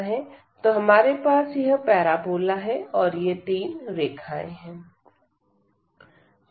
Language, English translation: Hindi, So, we have the parabola and then these 3 lines